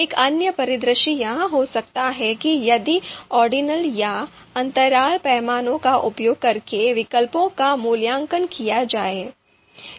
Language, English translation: Hindi, Another scenario could be if alternatives are to be evaluated using ordinal or interval scale